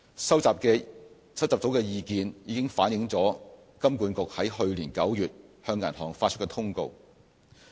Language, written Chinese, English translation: Cantonese, 收集到的意見已經反映在金管局於去年9月向銀行發出的通告。, The information collected has been incorporated in the Circular issued by HKMA to all banks last September